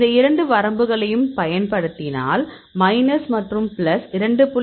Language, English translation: Tamil, So, we use both these ranges; minus and plus and the screen the initial 2